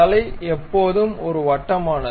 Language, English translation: Tamil, So, head always be a circular one